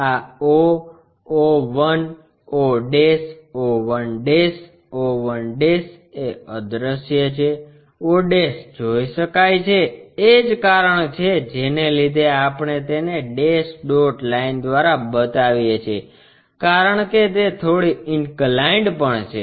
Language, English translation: Gujarati, This o, o 1, o', o one'; o 1' is invisible, o' is visible that is a reason we show it by dash dot line because it is slightly inclined